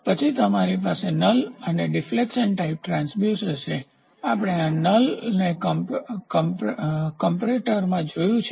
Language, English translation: Gujarati, Then you have null and deflection type transducer we saw this null in comparators